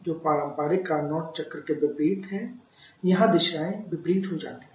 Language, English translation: Hindi, Which, is just opposite to the conventional Carnot cycle hear the directions of just become opposite